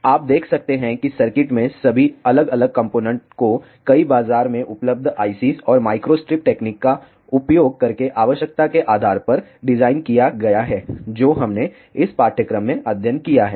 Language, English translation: Hindi, So, you can see all the different components in the circuit are designed based on the requirement using several market available ICs and microstrip techniques which we have studied in this course